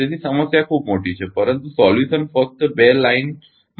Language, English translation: Gujarati, So, problem is very big, but solution is just in two line